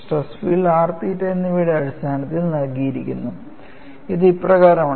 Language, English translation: Malayalam, Finally, we will get the stress field in terms of r and theta; that is what we are proceeding at;